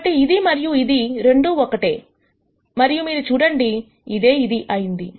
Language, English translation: Telugu, So, this and this are same and you see that this is this